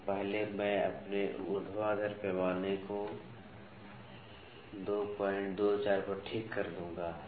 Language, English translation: Hindi, So, first I will fix my vertical scale to 2